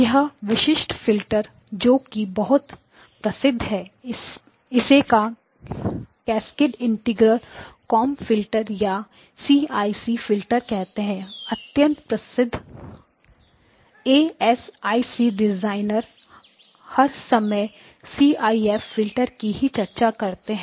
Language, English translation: Hindi, And so this particular filter is called it is got a very popular name it is called a Cascaded Integrator Comb filter CIC Filter very, very popular ASIC designers will all the time talk about CIC Filters